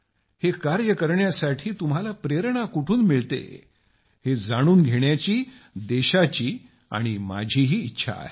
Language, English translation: Marathi, But the country would like to know, I want to know where do you get this motivation from